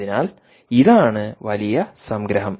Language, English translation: Malayalam, so thats the big summary